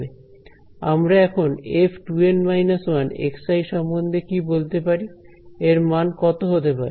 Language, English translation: Bengali, So, what can I say about f 2 N minus 1 x i what will its value be equal to